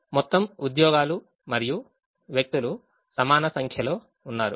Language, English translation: Telugu, there are an equal number of jobs and people